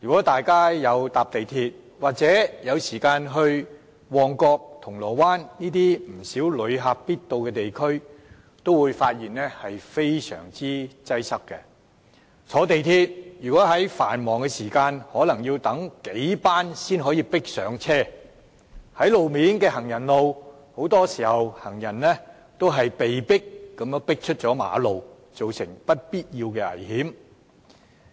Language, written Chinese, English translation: Cantonese, 大家乘坐港鐵，或到旺角和銅鑼灣等旅客必到的地區，也會覺得非常擠迫。在繁忙時段乘坐港鐵，可能要等候數班列車才能迫上車；在行人路上，很多時候行人也被迫出馬路，構成危險。, One can hardly fail to experience the extreme overcrowdedness when taking a ride on MTR trains or setting foot in such places as Mong Kok or Causeway Bay frequented by tourists taking the MTR during rush hours probably obliges a wait for several trains before you can squeeze yourself on board while going down a sidewalk often poses the danger of being crowded out to the driveways